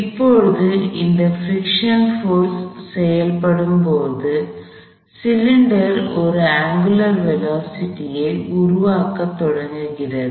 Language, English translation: Tamil, Now as this friction force acts, the cylinder begins to develop an angular velocity